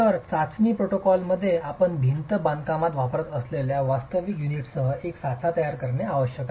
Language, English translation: Marathi, So, the test protocol requires that you create a mold with real units that you're going to be using in the wall construction